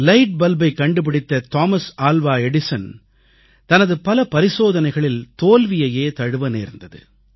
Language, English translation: Tamil, Thomas Alva Edison, the inventor of the light bulb, failed many a time in his experiments